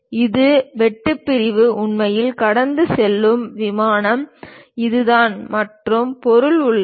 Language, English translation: Tamil, And this is the plane through which this cut section is really passing through and material is present there